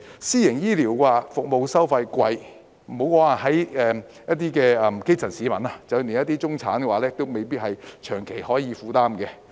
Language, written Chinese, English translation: Cantonese, 私營醫療服務收費昂貴，莫說基層市民，連中產也未必能長期負擔。, Medical services in the private sector are so expensive that even the middle class may find them unaffordable in the long run not to mention the grass roots